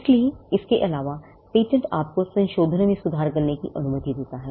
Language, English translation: Hindi, So, the patent of addition, allows you to cover improvements in modifications